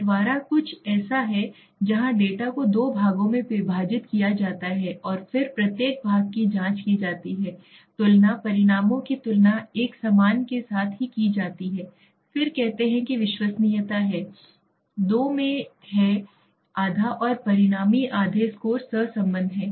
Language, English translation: Hindi, Split half is something where the data is divide into two parts and then each part is checked and then compared the results are compared with a similar then say there is a reliability, okay into two halves and the resulting half scores are correlated